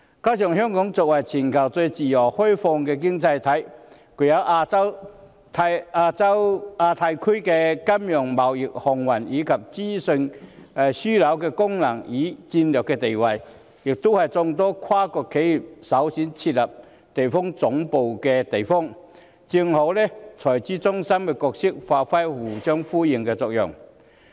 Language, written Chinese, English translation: Cantonese, 另外，香港作為全球最自由開放的經濟體，具有亞太區金融、貿易、航運，以及資訊樞紐的功能與戰略地位，也是眾多跨國企業設立地區總部的首選地方，這正好和財資中心的角色發揮互相呼應的作用。, Furthermore being the freest and most open economy in the world Hong Kong not only functions as the financial trading shipping and information hub in the Asia - Pacific Region and maintains a strategic position in the region it is also regarded by multinational enterprises as the most preferred location for their regional headquarters . This exactly tallies with our role as a treasury centre to bring about synergy